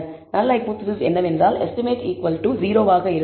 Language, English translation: Tamil, The null hypothesis is that the estimates will be equal to 0